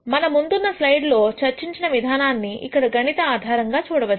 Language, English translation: Telugu, The discussion that we had in the previous slide is seen here mathematically